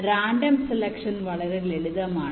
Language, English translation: Malayalam, well, random selection is very sample